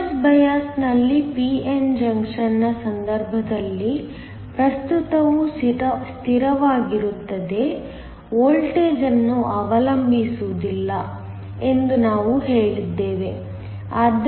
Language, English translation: Kannada, We said that, in the case of a p n junction in reverse bias, the current is a constant, does not depend upon voltage